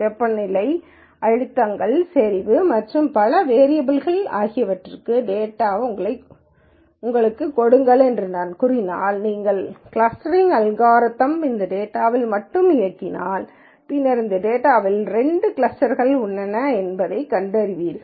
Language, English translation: Tamil, If I let us say give you data for several variables temperatures, pressures, concentrations and so on ow for several variables then you could run a clustering algorithm purely on this data and then say I find actually that there are two clusters of this data